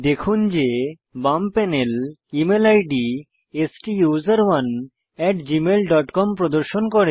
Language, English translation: Bengali, Note, that the left panel now displays the Email ID STUSERONE at gmail dot com